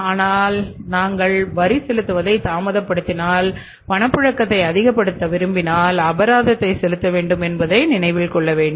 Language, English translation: Tamil, But in case of the taxes if you delay the payment of taxes for the want of liquidity then certainly you have to pay the penalty